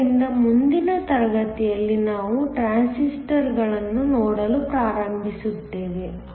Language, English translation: Kannada, So, in the next class we are going to start looking at Transistors